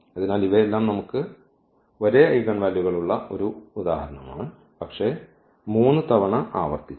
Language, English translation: Malayalam, So, we have an example where all these we have the same eigenvalues, but repeated three times